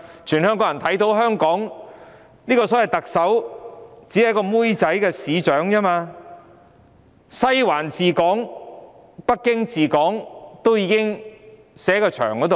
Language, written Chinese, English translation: Cantonese, 所有香港人都看到，香港特首只是一個"妹仔"市長，西環治港、北京治港都已寫在牆上。, All people in Hong Kong know that the Chief Executive is just a servant - like mayor . The writing is on the wall that the Western District and Beijing are ruling Hong Kong